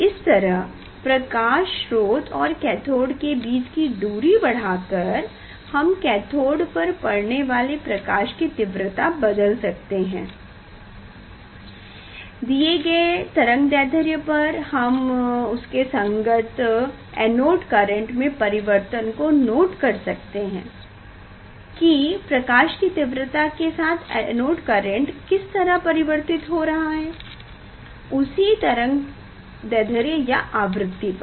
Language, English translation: Hindi, that way increasing the distance of light source from the cathode, from the photocell; we will change the intensity of light on the cathode surface and for a particular wavelength of course and we will note down the change of the anode current, how anode current in changing with the intensity of light for a same for a particular frequency or for a particular wavelength, that is the second part we will do